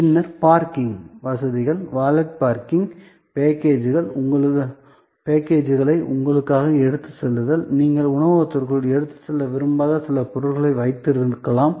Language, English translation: Tamil, Then, the parking facilities, valet parking, a carrying for your, you know packages, which you may have certain stuff, which you do not want to take inside the restaurant